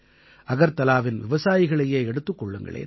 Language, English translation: Tamil, Take for example, the farmers of Agartala